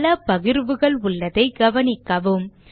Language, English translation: Tamil, Notice that there are a lot of partitions